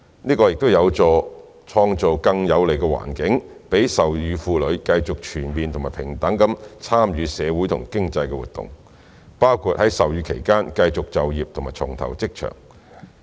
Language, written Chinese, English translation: Cantonese, 這有助創造更有利的環境，讓授乳婦女繼續全面和平等地參與社會和經濟活動，包括在授乳期間持續就業或重投職場。, This improvement would be conducive to creating a more enabling environment for breastfeeding women to continue their full and equal social and economic participation including staying in or rejoining the workforce while breastfeeding